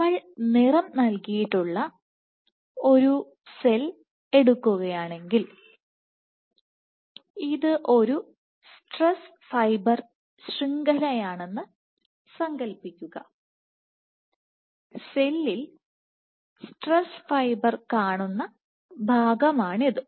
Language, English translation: Malayalam, So, if we take let us say, so, if we take a cell let us say which is stained imagine this is one stress fiber network this is portion of a cell where you see stress fibers in this cell